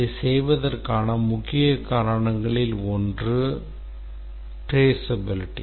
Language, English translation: Tamil, One of the major reason for doing that is that traceability